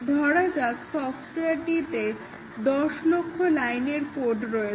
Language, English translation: Bengali, So the software let us say a million line of code has been developed